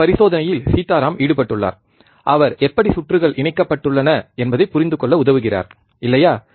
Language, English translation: Tamil, Sitaram is involved with this experiment, he is helping us to understand, how the circuits are connected, right